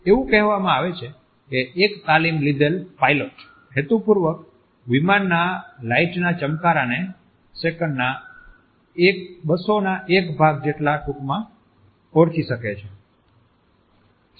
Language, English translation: Gujarati, It is said that a train pilot can purportedly identify a plane flashes as briefly as 1/200th of a second